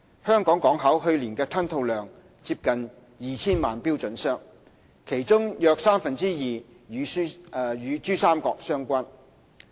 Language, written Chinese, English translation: Cantonese, 香港港口去年的吞吐量接近 2,000 萬標準箱，其中約三分之二與珠三角相關。, The container throughput of Hong Kong Port HKP last year was close to 20 million TEUs two thirds of which was related to the Pearl River Delta PRD